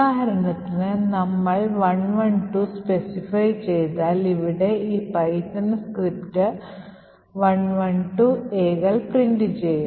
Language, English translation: Malayalam, For example, over here since we have specified 112, so this particular python script would print A, 112 A’s